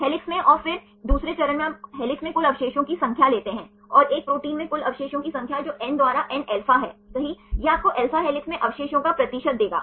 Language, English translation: Hindi, In helix and then the second step you take the total number of residues in helix, and total number of residues in a protein that is nα by N right, this will give you the percentage of residues in alpha helix